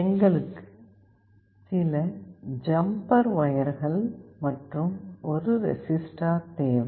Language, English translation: Tamil, We also require some jumper wires, and a resistor